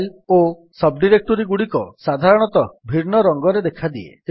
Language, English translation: Odia, Files and sub directories are generally shown with different colours